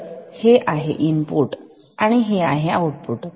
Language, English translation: Marathi, So, this is the input and this is the output